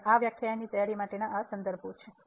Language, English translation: Gujarati, And these are the references used for preparation of this lecture